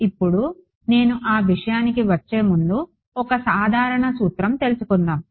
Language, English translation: Telugu, Now before I get into that one general principle we will derive